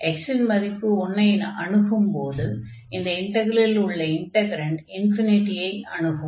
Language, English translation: Tamil, So, here when x approaching to 1 this is becoming unbounded our integrand is becoming unbounded